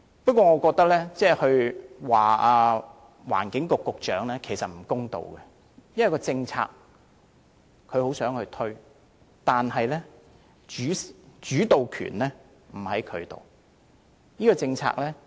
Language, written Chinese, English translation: Cantonese, 不過，我認為就此批評環境局局長，其實也有欠公道，因為他也想推廣電動車政策，但主導權不在他手上。, However I do consider it unfair for us to criticize the Secretary for the Environment for such policy failures because he also wishes to promote the use of EVs but he is not at liberty to decide